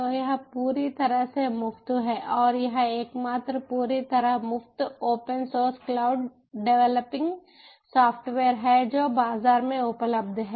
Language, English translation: Hindi, so it is completely free and it is the only completely free open source ah cloud developing software that is available in the market